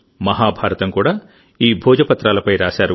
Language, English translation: Telugu, Mahabharata was also written on the Bhojpatra